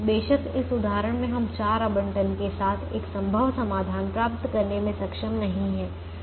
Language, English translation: Hindi, off course, in this example we are not able to get a feasible solution with four allocations, so we do something more